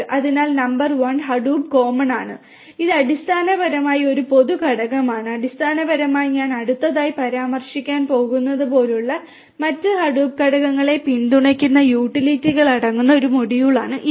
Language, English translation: Malayalam, So, number one is Hadoop common which is basically a common component which is basically a module that contains the utilities that would support the other Hadoop components like the once that I am going to mention next